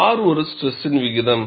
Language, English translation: Tamil, R is a stress ratio